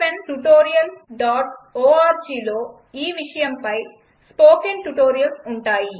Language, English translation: Telugu, There will be spoken tutorials on this topic at http://spoken tutorial.org also